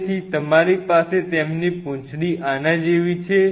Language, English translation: Gujarati, So, you have their and their tail like this